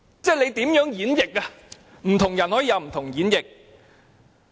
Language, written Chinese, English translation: Cantonese, 不同的人可以有不同的演繹。, Different people may have different interpretations